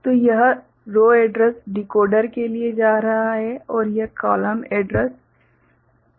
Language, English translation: Hindi, So, this is going to row address decoder and this is going to column address decoder